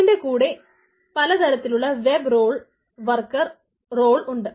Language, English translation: Malayalam, there are different things: web role, worker role